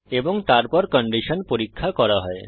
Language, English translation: Bengali, And then, the condition is checked